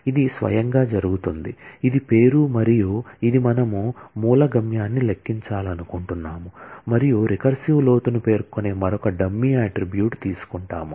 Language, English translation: Telugu, It will happen with itself, this is the name and this is what we want to compute source destination and we take another dummy attribute kind of which specify the depth of recursion